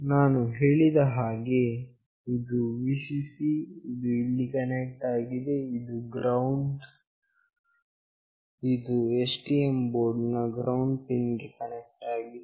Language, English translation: Kannada, As I said this is Vcc, which is connected to this one, this is GND, which is connected to the ground port of the STM board